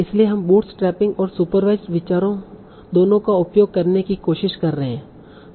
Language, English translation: Hindi, So we are trying to make use of both bootstrapping and sewage ideas